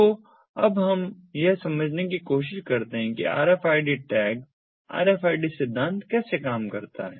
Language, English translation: Hindi, so let us now try to understand how rfid tags, the rfid principle, works